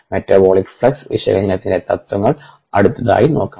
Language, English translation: Malayalam, we will look at the principles of metabolic flux analysis next